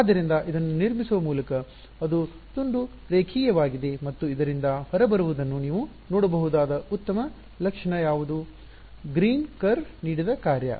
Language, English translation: Kannada, So, by constructing this it is piecewise linear and what is the nice property that you can see coming out of this, the function given by the green curve is